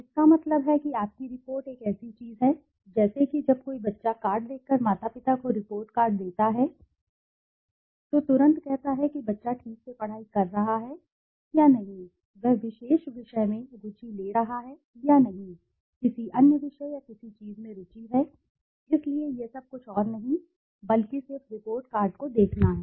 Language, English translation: Hindi, it means that your report is such a thing, like for example when a child gets report card the parent by looking at the report card immediately says whether the child is properly studying or not studying, whether he is taking interest in particular subject or not taking interest in another subject or something, so all this is nothing but just by watching the report card